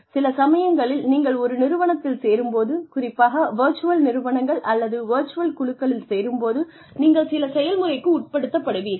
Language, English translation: Tamil, Sometimes, when you join an organization, especially in virtual organizations, or virtual teams, you are put through a process